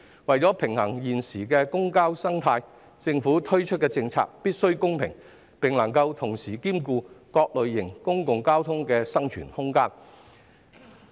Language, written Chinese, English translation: Cantonese, 為了平衡現時的公共交通生態，政府推出的政策必須公平，並能同時兼顧各類型公共交通的生存空間。, In order to balance the current ecosystem of public transport policies rolled out by the Government must be fair having regard to the viability of various types of public transport